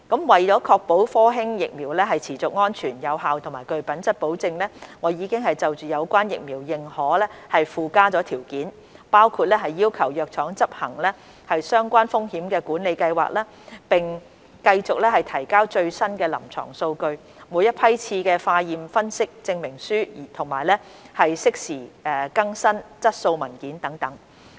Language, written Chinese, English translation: Cantonese, 為確保科興疫苗持續安全、有效及具品質保證，我已就有關的疫苗認可附加條件，包括要求藥廠執行相關的風險管理計劃，並繼續提交最新的臨床數據、每一批次的化驗分析證明書，以及適時更新質素文件等。, To ensure that the Sinovac vaccine continues to fulfil the criteria of safety efficacy and quality I have attached conditions to the relevant vaccine authorization including requiring the drug manufacturer to execute a relevant risk management programme and continue to provide the latest clinical data and laboratory analysis certificates for each batch of vaccines as well as timely updates of quality reports